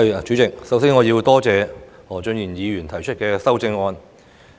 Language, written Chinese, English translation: Cantonese, 主席，我首先要感謝何俊賢議員提出修正案。, President first of all I have to thank Mr Steven HO for proposing his amendment